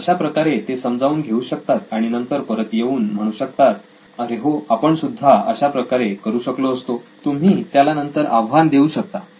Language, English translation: Marathi, So that they can understand and then come and say, oh yeah we would have done this and you can change that too